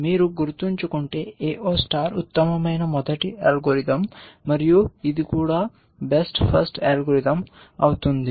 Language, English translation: Telugu, AO star was the best first algorithm if you remember and this is also going to be the best first algorithm